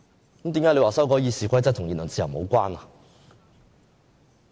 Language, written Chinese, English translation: Cantonese, 為何建制派說修改《議事規則》與言論自由無關？, Why does the pro - establishment camp say that amending the RoP is unrelated to freedom of speech?